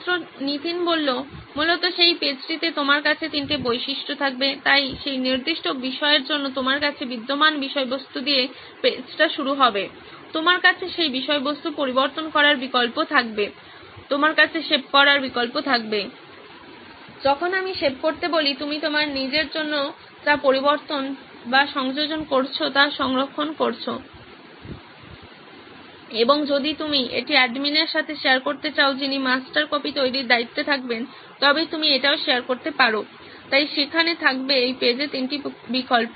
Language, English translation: Bengali, In that essentially you would have three features in that page, so the page would begin with whatever existing content you have for that particular subject, you would have the option to edit content on that subject, you would have the option to save, when I say save, you are saving whatever editing or additions that you have made only for yourself and if at all you want to share this with the administrator who would be in charge of creating the master copy you can share it as well, so there would be three options on this page